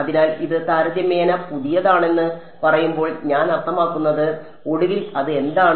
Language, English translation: Malayalam, So, that is what I mean when I say it is relatively new and finally, what is it